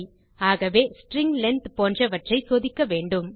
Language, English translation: Tamil, Okay so check things like string length